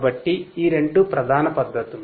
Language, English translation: Telugu, So, these are the two main techniques